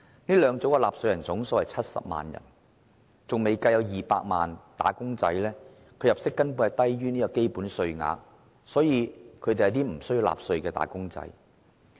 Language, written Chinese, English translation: Cantonese, 這兩組納稅人的總數是70萬人，另有200萬名"打工仔"的入息低於基本免稅額，無須納稅。, The total number of taxpayers in these two tax bands is 700 000 and there are 2 million wage earners whose incomes are lower than the basic allowance and do not have to pay salaries tax